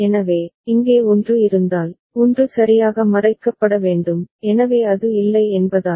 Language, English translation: Tamil, So, if there was a 1 here that 1 need to be covered ok, so since it is not there